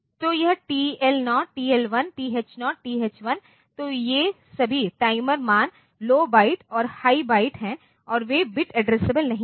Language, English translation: Hindi, So, this TL0, TL1, TH0, TH1 so, these are all this timer values, low byte and high byte and they are not bit addressable